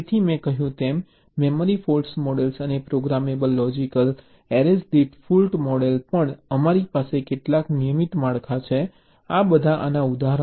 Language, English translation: Gujarati, so, as i said, the memory fault models and also fault models per programmable logic arrays, we have some regular structures